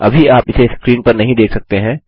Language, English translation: Hindi, You cannot see it on the screen right now